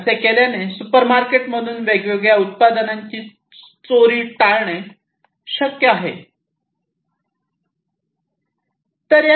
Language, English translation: Marathi, And by doing so it is possible to avoid theft of different products from the supermarkets and so on